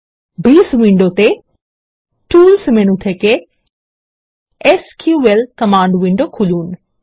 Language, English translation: Bengali, In the Base window, let us open the SQL Command Window from the Tools menu